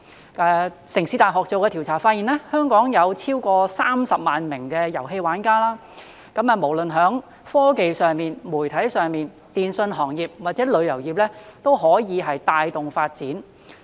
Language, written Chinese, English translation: Cantonese, 香港城市大學做的調查發現，香港有超過30萬名遊戲玩家，無論在科技、媒體、電訊行業或旅遊業，都可以帶動發展。, A research conducted by the City University of Hong Kong found that there are more than 300 000 players in Hong Kong which can lead to a growth in the Technology Media Telecom industry and the tourism industry